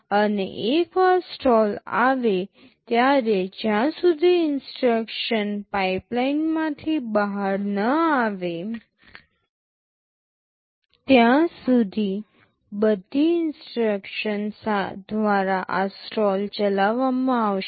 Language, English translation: Gujarati, And once a stall is there this stall will be carried by all subsequent instructions until that instruction exits the pipe